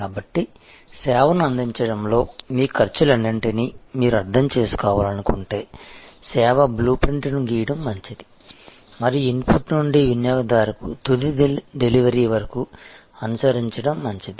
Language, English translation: Telugu, So, which means that, if you want to understand all your costs in providing a service, it is good to draw the service blue print and follow from the input to the final delivery of service to the consumer